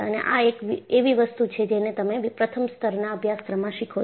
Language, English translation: Gujarati, And, this is what, you learn in the first level course